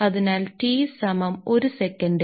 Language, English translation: Malayalam, So, this T is equal to 1 second